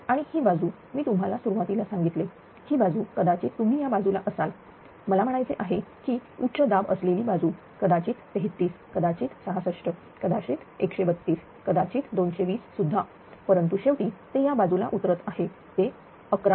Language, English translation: Marathi, And this side I have told you at the beginning this side maybe you are on this side this side maybe I mean this heightens inside it maybe 33, maybe 66, maybe 130, maybe even 220 right , but ultimately it is stepping down to this side is 11 kv